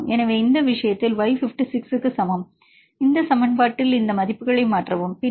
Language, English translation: Tamil, So, in this case y equal to 56, substitute this values in this equation then f u equal to 0